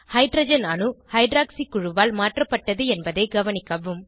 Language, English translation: Tamil, Observe that the hydrogen atom is replaced by hydroxy group